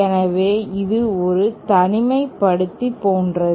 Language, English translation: Tamil, So, this is like an isolator